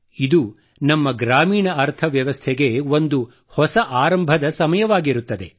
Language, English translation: Kannada, It is also the time of a new beginning for our rural economy